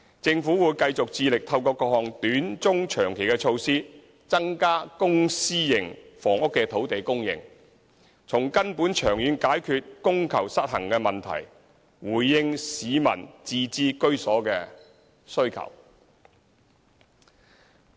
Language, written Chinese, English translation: Cantonese, 政府會繼續致力透過各項短、中、長期措施增加公私營房屋的土地供應，從根本長遠解決供求失衡的問題，回應市民自置居所的需求。, The Government will continue to spare no efforts in increasing land supply for public and private housing by adopting various short - medium - and long - term measures so as to resolve the demand - supply imbalance at root in the long term to meet the home ownership needs of the public